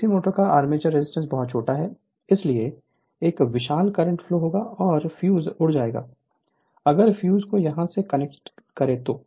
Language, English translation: Hindi, Then armature resistance of DC motor is very small therefore, a huge current will flow and fuse will blow, if you do not connect fuse somewhere here right